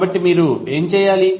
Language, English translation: Telugu, So, first what you have to do